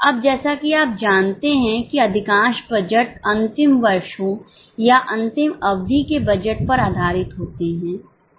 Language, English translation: Hindi, Now as you know most of the budgets are based on the last years or last periods budget